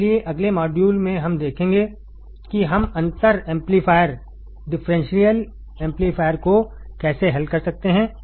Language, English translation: Hindi, So, in the next module, we will see how we can solve the differential amplifier